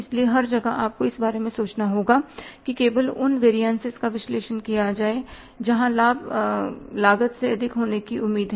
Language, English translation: Hindi, So, everywhere you have to think about only there the variances will be analyzed where the benefit is expected to be more than the cost